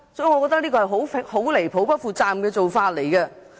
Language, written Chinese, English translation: Cantonese, 我覺得這是很離譜及不負責任的做法。, I consider this outrageous and irresponsible